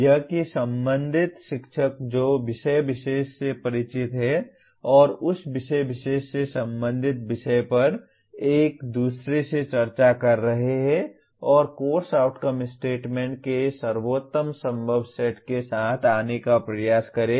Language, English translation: Hindi, That the concerned teachers who are familiar with the subject matter and dealing with that subject matter at that particular level should discuss with each other and try to come with best possible set of course outcome statements